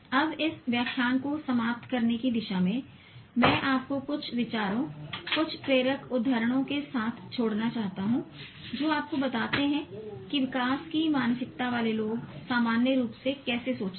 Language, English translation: Hindi, Now towards concluding this lecture, I just want to leave you with some thoughts, some inspiring quotations which tell you how people with growth mindset think normally